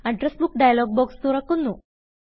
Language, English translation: Malayalam, Remember, you must keep the Address Book dialog box open